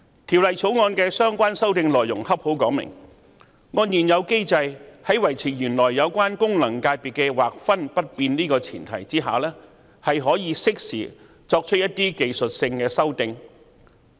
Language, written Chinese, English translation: Cantonese, 《條例草案》的相關修訂內容正好說明按照現有機制，在維持原有功能界別的劃分不變的前提下可以適時作出一些技術修訂。, The relevant amendments in the Bill have precisely illustrated that under the existing mechanism some timely technical amendments can be made on the premise of maintaining the original delineation of the FCs